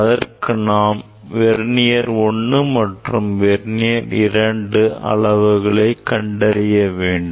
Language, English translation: Tamil, we have Vernier constant 1 and Vernier constant 2